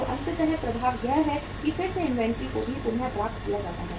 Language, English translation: Hindi, So ultimately the effect is that again the inventory also gets readjusted